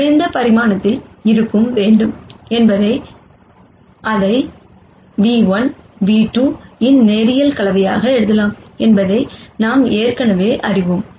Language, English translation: Tamil, And since X hat has to be in the lower dimension, We already know that it can be written as a linear combination of nu 1 and nu 2